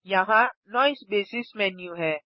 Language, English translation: Hindi, Here is the Noise basis menu